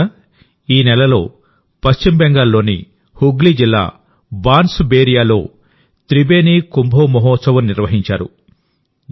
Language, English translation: Telugu, Friends, this month, 'Tribeni Kumbho Mohotshav' was organized in Bansberia of Hooghly district in West Bengal